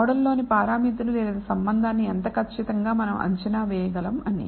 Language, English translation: Telugu, In terms of how accurately we can estimate the relationship or the parameters in this model